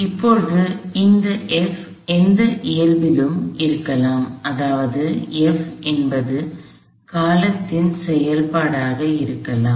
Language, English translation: Tamil, So, now, this F can be of any nature, meaning F can be a function of time